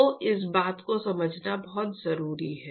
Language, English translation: Hindi, So, it is very important to understand this